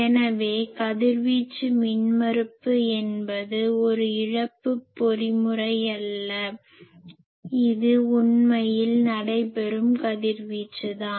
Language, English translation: Tamil, So, radiation resistance is not a loss mechanism, it is actually the radiation that is taking place